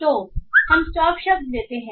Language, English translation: Hindi, So we take the stop words